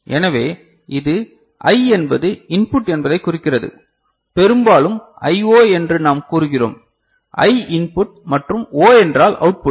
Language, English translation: Tamil, So, this I stands for input ok, we often say that it is I O; I means input and O means output, right